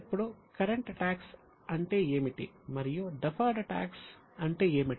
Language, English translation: Telugu, Now, what is a current tax and what is a deferred tax